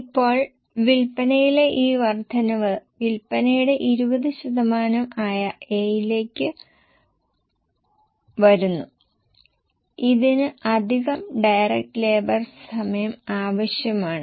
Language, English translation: Malayalam, Now, this increase in sales comes to A, which is 20% of sales, it will require extra direct labor hour